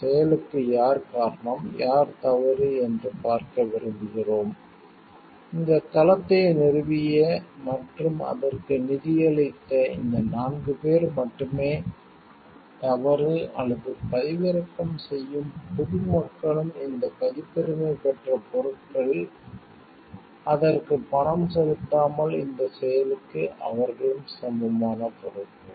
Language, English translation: Tamil, And we want to see like who is responsible for this action, who is at fault is it only this four people who have founded the site and who has maybe financed it is at fault, or it is the public at large also, who is downloading this copyrighted materials, without paying for it they are equally responsible for this action